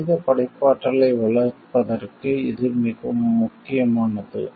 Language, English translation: Tamil, It is important for fostering human creativity